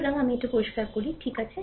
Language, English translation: Bengali, So, let me clear it , right